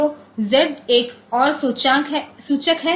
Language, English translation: Hindi, So, Z is another pointer